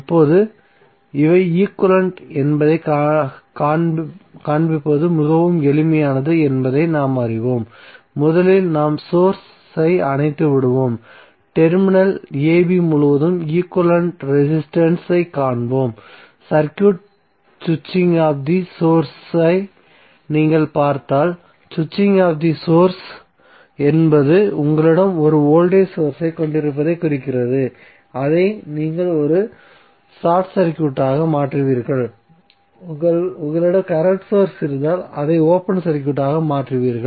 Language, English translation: Tamil, Now, we know that it is very easy to show that these are equivalent what we will do, we will first turn out the source and we will find the equivalent resistance across the terminal ab, so if you see this circuit switching of the source means what, switching of the source means if you have a voltage source you will simply make it as a short circuit and if you have a current source you will make it as a open circuit, so this will be opened if you are having the voltage source or short circuit if are having current source it will be open circuited if you have voltage source it will be short circuited